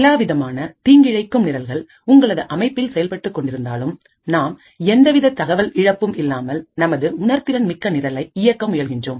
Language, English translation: Tamil, Now in spite of all of these malicious programs running on your system we would still want to run our sensitive program without loss of any information